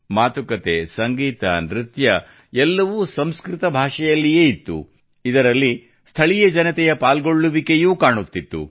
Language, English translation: Kannada, Dialogues, music, dance, everything in Sanskrit, in which the participation of the local people was also seen